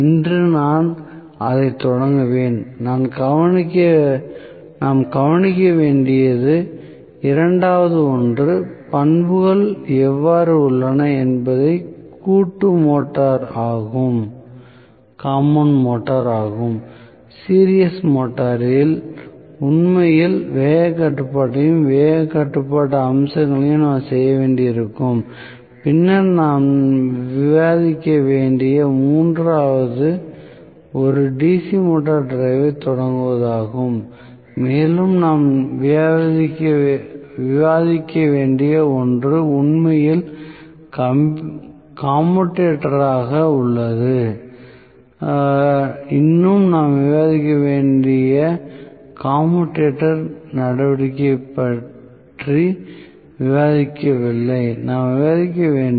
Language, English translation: Tamil, So, we have not looked that what are all that topics pending we have still not looked at series motor I will start on that today the second one that we need to look at is compound motor how the characteristics are, so, series motor actually we will have to do speed control also speed control aspects also we will have to discuss then the third one we need to discuss is starting of a DC motor drive and the forth one we might have to discuss is braking in fact commutator, still we have not discussed the commutator action also we need to discuss